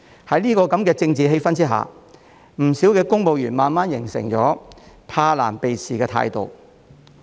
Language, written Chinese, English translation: Cantonese, 在這樣的政治氣氛下，不少公務員慢慢形成了怕難避事的態度。, In such a political atmosphere quite a few civil servants have gradually developed an evasive attitude towards difficulties and problems